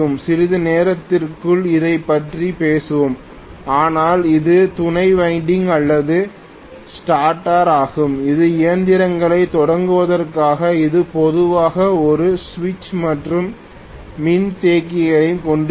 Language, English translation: Tamil, We will talk about this within a short while, but this is the auxiliary winding or starter which is meant for starting the machine that will normally have a switch and the capacitor as well